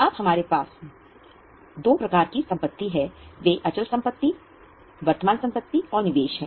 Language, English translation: Hindi, Now the types of assets, we have got fixed assets, current assets and investments